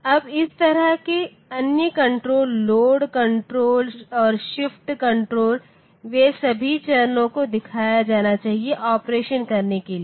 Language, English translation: Hindi, Now, other controls like this the load control and the shift control they should be given to all the stages, for doing the operation